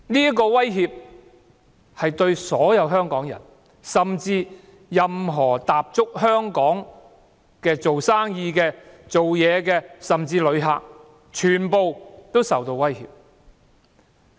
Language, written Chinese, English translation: Cantonese, 這會威脅所有香港人，甚至所有在香港營商工作的人和旅客，他們全皆會受影響。, This would pose threats to all Hong Kong people and even to all those running business or working here in Hong Kong and also visitors . They would all be affected